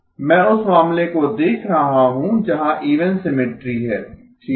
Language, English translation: Hindi, I am looking at the case where there is even symmetry okay